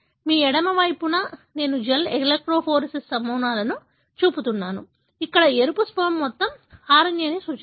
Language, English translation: Telugu, On your left I am showing a gel electrophoresis pattern, where the red smear represents the total RNA